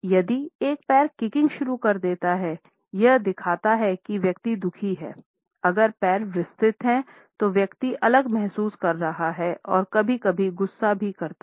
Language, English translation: Hindi, If one foot starts twitching or kicking; it shows the person is unhappy, if the feet are set wide apart the person is feeling strong and sometimes also angry; roar